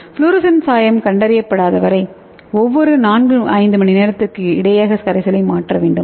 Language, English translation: Tamil, And we have to replace the buffer every 4 5 hours until no fluorescent dye is detected